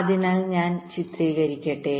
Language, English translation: Malayalam, so let me just illustrate